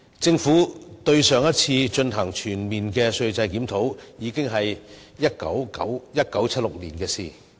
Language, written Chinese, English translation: Cantonese, 政府上次就稅制進行全面檢討，已是1976年的事情。, A comprehensive review of tax regime was last conducted by the Government in 1976